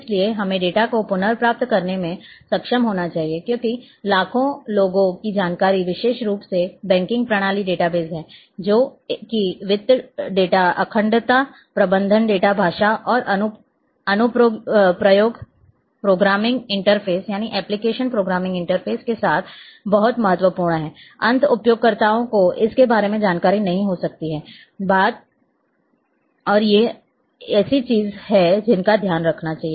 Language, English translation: Hindi, So, that we should be able to recover the data because the millions of people information is especially in banking system database is there which is very, very important related with finance data integrity management data language and application programming interfaces, end user may not be aware of this thing, but on the administrator and these are the thing which has to be taken care